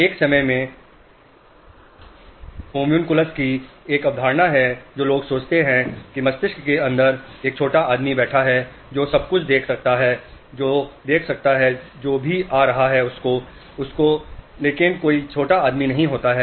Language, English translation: Hindi, At one point of time people used to think there is a little man sitting inside the brain who could see everything, who could see whatever is coming in but there is no little man